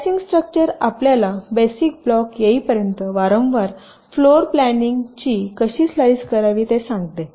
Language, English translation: Marathi, so slicing structure actually tells you how to slice a floor plan repeatedly until you get the basic blocks